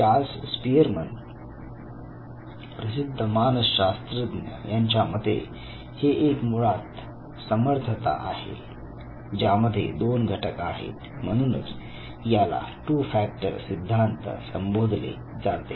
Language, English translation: Marathi, Charles spearman was the psychologist who said that intelligence is basically an ability which has two factors and therefore, this theory is called as two factor theory